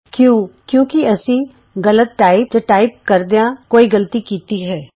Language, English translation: Punjabi, Thats because we have mistyped or made an error in typing